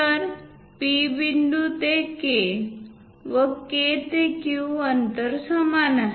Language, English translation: Marathi, So, P point to K and K to Q; they are equal